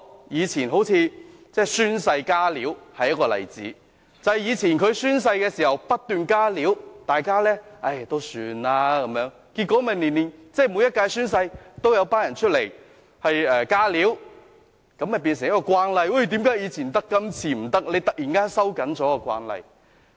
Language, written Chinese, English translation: Cantonese, 以前宣誓"加料"，便是一個例子，正因為以前宣誓時，有議員不斷"加料"，大家也放任不管，結果每一屆宣誓，也有議員"加料"，這樣便成為慣例，然後突然收緊慣例，便會有人問為何以前可以，今次不可以？, In the past some Members kept making additions when taking the oath and were let alone . As a result Members made additions to the oath every term and it became a common practice . When the common practice is tightened suddenly some will ask why it was allowed in the past but not now?